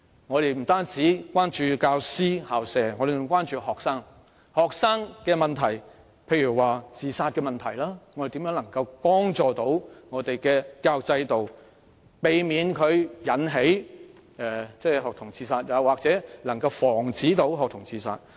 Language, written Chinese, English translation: Cantonese, 我們不單關注教師和校舍，還關心學生，例如學童自殺問題，我們應如何避免本港的教育制度導致學童自殺，或如何防止學童自殺？, We care about not only teachers and school premises but also students such as the problem of student suicides . How should we prevent the education system of Hong Kong from causing student suicides or how should we prevent students from committing suicide?